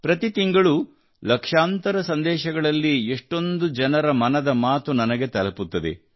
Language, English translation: Kannada, Every month, in millions of messages, the 'Mann Ki Baat' of lots of people reaches out to me